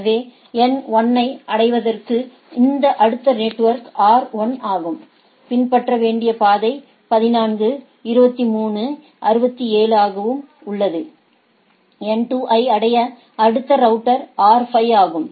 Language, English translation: Tamil, So, in order to reach N 1, this next router is R 1 and the path to be follows is 14 23 to 67, in order to reach N 2 next router is R 5 when the path is followed to be so and so forth and like this